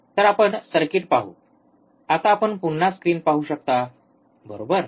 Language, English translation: Marathi, So, let us see the circuit, now you can see the screen again, right